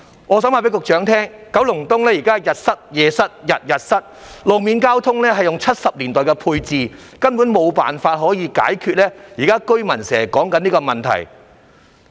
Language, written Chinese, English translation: Cantonese, 我想告訴局長，九龍東現在每天日夜都塞車，路面交通仍使用1970年代的配置，根本無法解決居民現時面對的問題。, I would like to tell the Secretary that traffic congestion occurs in Kowloon East day and night every day . As the road infrastructure is still using the configuration of the 1970s it is unable to solve the problems faced by the residents nowadays